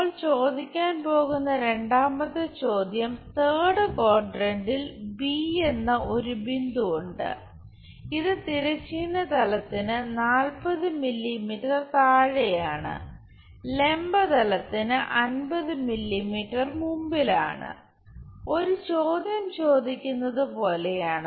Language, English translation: Malayalam, There is a point B in third quadrant, which is something like 40 mm below horizontal plane, 50 mm above in front of vertical plane is more like asking a question